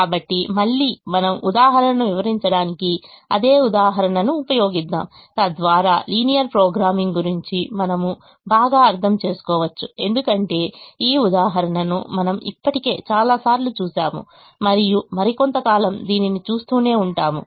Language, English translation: Telugu, so again we use the same example to illustrate, so that we can have a better understanding of linear programming, because we have seen this example so many times already and we will continue to see it for some more time